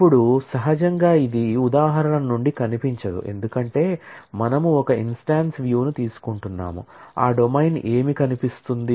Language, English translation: Telugu, Now, naturally this, it is not visible from the instance, because we are taking an instance view, we are not being able to see, what that domain is that will be visible